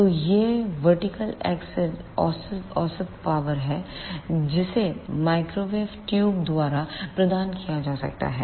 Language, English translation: Hindi, So, this vertical axis is the average power that can be provided by the microwave tubes